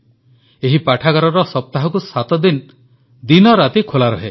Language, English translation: Odia, This library is open all seven days, 24 hours